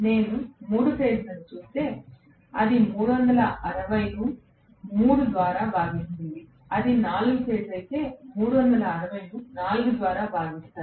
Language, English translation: Telugu, If I look at 3 phase it is 360 divided by 3, if it is 4 phase it is 360 divided by 4